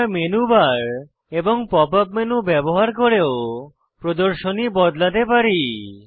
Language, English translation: Bengali, These options are listed in the Menu bar and Pop up menu